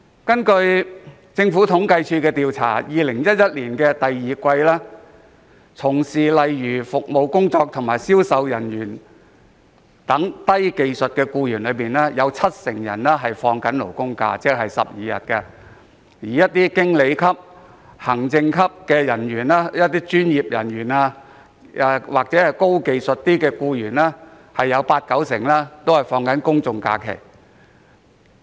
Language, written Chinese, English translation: Cantonese, 根據政府統計處的統計調查 ，2011 年第二季，在服務工作和銷售人員等低技術僱員當中，七成享有"勞工假"，即是12日，而在經理級、行政級人員、專業僱員或較高技術僱員當中，八九成享有公眾假期。, According to a survey conducted by the Census and Statistics Department in the second quarter of 2011 70 % of low - skilled employees including service and sales workers are entitled to labour holidays ie . 12 days while 80 % to 90 % of managers administrative personnel professional employees or higher skilled employees are entitled to general holidays